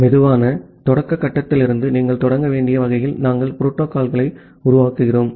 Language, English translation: Tamil, We make the protocol in such a way that you have to start from the slow start phase